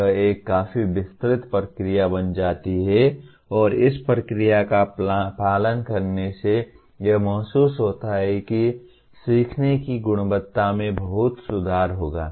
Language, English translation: Hindi, So, this becomes a fairly elaborate process and by following this process it is felt that the quality of learning will greatly improve